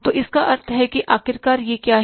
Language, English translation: Hindi, So, it means ultimately what is it